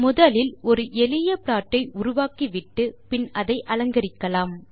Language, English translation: Tamil, We shall first make a simple plot and start decorating it